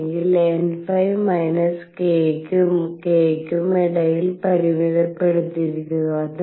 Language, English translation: Malayalam, Or n phi is confined between minus k and k